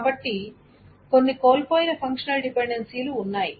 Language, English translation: Telugu, So there are certain functional dependencies that are lost